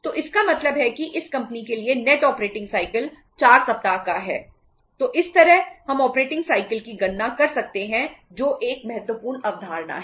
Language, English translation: Hindi, So this way we can calculate the operating cycle which is an important concept